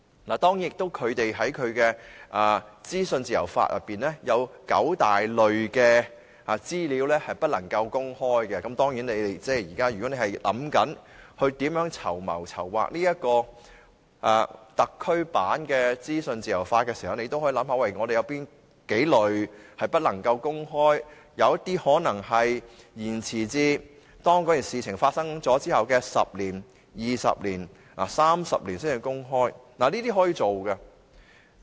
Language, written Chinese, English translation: Cantonese, 他們在其資訊自由法裏有九大類別資料不能夠公開，如果你們現正盤算如何籌劃特區版的資訊自由法時，也可以想想我們有哪幾類資料不能夠公開，有些可能延遲至該事情發生後的10年、20年或30年才公開，這是可行的。, They have nine main groups of information which are not allowed to be disclosed under their Freedom of Information Act . If you are just pondering how to plan the Hong Kong version for the legislation on freedom of information you can also think about which categories of information are barred from disclosure . The disclosure of some information may be delayed until 10 years 20 years or 30 years after the incidents occurred